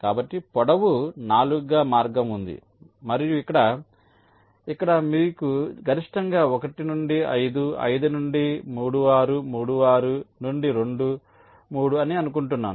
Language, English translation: Telugu, and here here you have, maximum is, i think, one to five, five to three, six, three, six to two, three